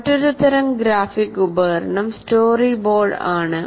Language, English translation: Malayalam, Now another type of graphic tool is what you call storyboard